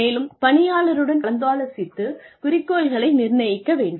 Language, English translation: Tamil, And then, set objectives in consultation with the employee